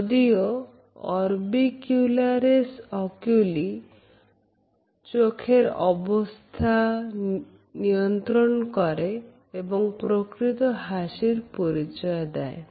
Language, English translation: Bengali, Though orbicularis oculi at the eyes act independently and review with true feelings of a genuine smile